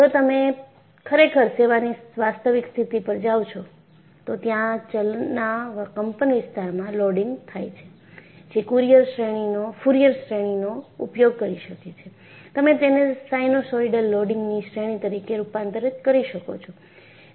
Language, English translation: Gujarati, If you really go to actual service condition, you will have variable amplitude loading, which could be using Fourier series; you will be able to convert at that, as a series of sinusoidal loading